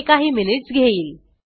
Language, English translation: Marathi, This will take few minutes